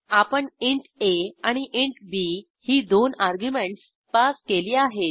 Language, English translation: Marathi, We have passed two arguments int a and int b